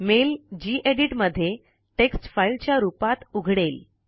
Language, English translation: Marathi, The mail opens in Gedit as a text file